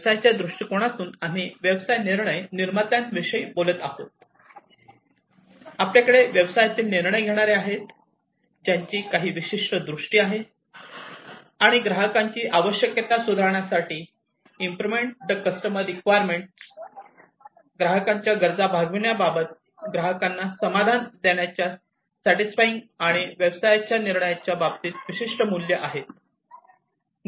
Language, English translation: Marathi, So, from the business viewpoint we are talking about business decision makers, we have the business decision makers, who have a certain vision and have certain values, in terms of improving the customer requirements, meeting the customer requirements, you know, satisfying the customers, and, so on, and the business decision makers also have certain key objectives